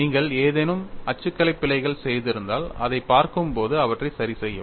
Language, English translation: Tamil, If you have made any typographical errors, please verify and correct them while looking at this